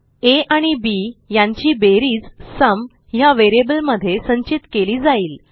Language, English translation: Marathi, Then sum of a amp b will be stored in the variable sum